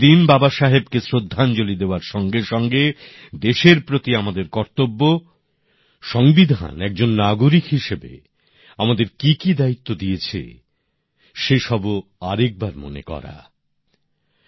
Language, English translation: Bengali, Besides paying our homage to Baba Saheb, this day is also an occasion to reaffirm our resolve to the country and abiding by the duties, assigned to us by the Constitution as an individual